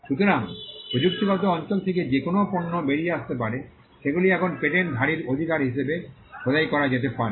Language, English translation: Bengali, So, whatever products that can come out of that technological area can now be carved as a right by the patent holder